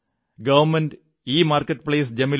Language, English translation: Malayalam, Government EMarketplace GEM